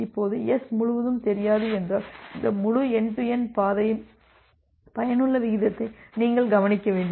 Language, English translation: Tamil, Now, if S does not know that this entire, so if you look into the effective rate of this entire end to end path